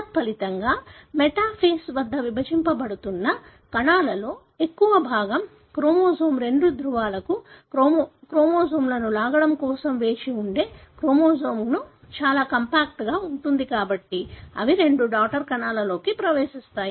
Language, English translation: Telugu, As a result, majority of the cells that are dividing they get arrested at the metaphase, where the chromosome is very compact waiting for the cell to pull the chromosomes to two poles therefore they can be, you know, put into the two daughter cells